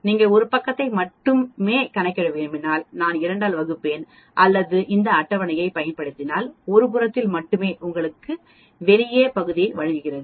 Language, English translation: Tamil, If you want to calculate only 1 side I will divide by 2 or if I use this table this table gives you area outside on only 1 side